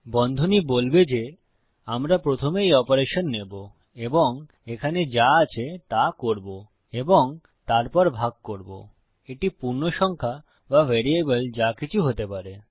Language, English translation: Bengali, The brackets will say well take this operation first, do whatever is in here and then continue to divide by whatever this could be an integer or a variable